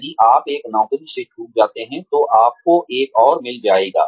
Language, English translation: Hindi, If you miss out on one job, you will find another one